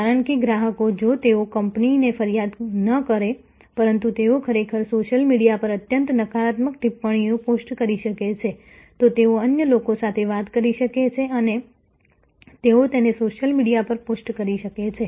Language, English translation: Gujarati, Because the customers, if they may not complaint to the company, but they may actually post highly negative comments on the social media, they may talk to others and they may post it on the social media